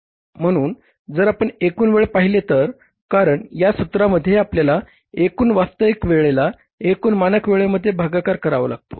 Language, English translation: Marathi, So, if you see the total time because the formula requires total actual time divided by the total standard time